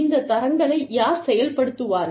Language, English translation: Tamil, And, who will implement, these standards